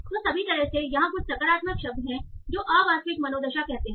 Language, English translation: Hindi, So although there is some positive words, this is a realist mood